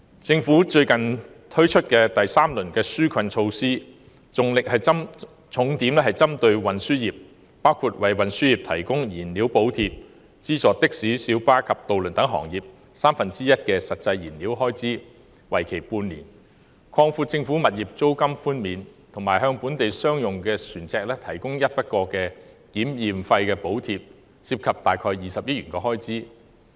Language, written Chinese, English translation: Cantonese, 政府最近推出第三輪紓困措施，重點針對運輸業，包括為運輸業提供燃料補貼；資助的士、小巴及渡輪等行業三分之一的實際燃料開支，為期半年；擴闊政府物業租金寬免的範圍，以及向本地商用船隻提供一筆過檢驗費用補貼，涉及約20億元開支。, The third round of relief measures introduced by the Government recently are targeted at the transport industry . Costing about 2 billion in total the measures include offering a fuel subsidy for the transport industry reimbursing one third of the actual diesel cost for six months for taxis public light buses and ferries expanding the scope of rental reductions for government properties and providing a one - off survey fee subsidy to local commercial marine vessels